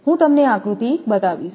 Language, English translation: Gujarati, I will show you the diagram